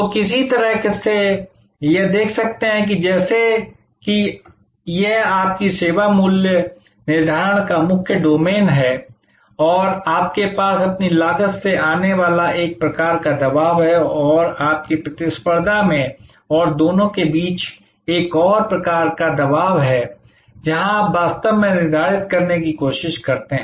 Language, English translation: Hindi, So, in some way one can see that as if, this is your main domain of service price setting and you have one kind of pressure coming from your cost and another kind of pressure coming from your competition and between the two is the arena, where you actually try to determine